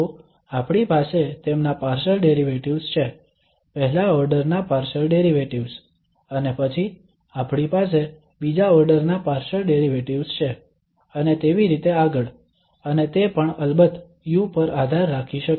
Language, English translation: Gujarati, So first order partial derivative and then we have second order partial derivatives and so on and it may also depend on u of course